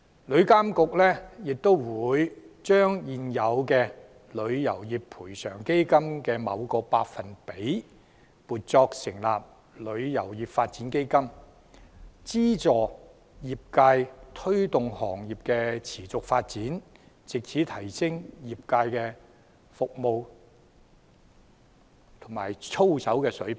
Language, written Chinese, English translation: Cantonese, 旅監局亦會將現有旅遊業賠償基金的某個百分比，撥作成立旅遊業發展基金，資助業界推動行業持續發展，藉此提升業界服務和操守的水平。, TIA will also set aside a certain percentage of the existing Travel Industry Compensation Fund to establish the Travel Industry Development Fund to provide financial support to the trade for its continuous development with a view to enhancing the service quality and work ethics of the trade